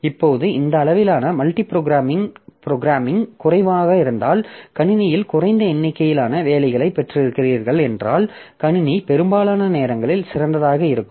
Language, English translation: Tamil, Now, if this degree of multiproprogramming is low, that is we have got less number of jobs in the system, naturally the system does not have much thing to do